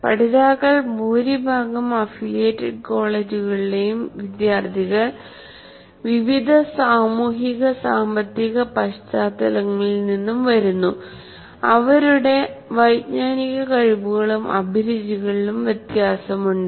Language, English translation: Malayalam, And then coming to the learners, students in majority of affiliated colleges come from wide range of social and economic backgrounds as well as cognitive abilities and motivations